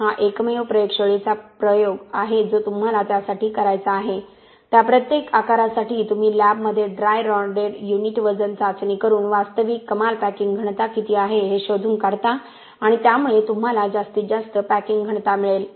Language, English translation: Marathi, This is the only lab experiment that you have to do for that for each of those sizes you find out what is the actual maximum packing density by doing a dry rodded unit weight test in the lab ok and that will give you a maximum packing density